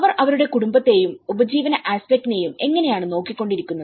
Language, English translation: Malayalam, How they were looking after their family and the livelihood aspect